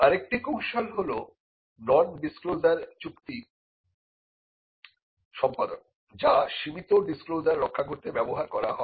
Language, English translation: Bengali, Another strategy is to use nondisclosure agreements NDAs, which can be used to protect limited disclosures